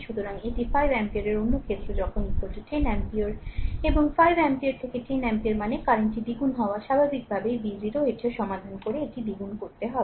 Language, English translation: Bengali, So, this i is 5 ampere another case when i is equal to 10 ampere and if 5 ampere to 10 ampere means the current getting doubled naturally v 0 also you solve it, it has to be doubled right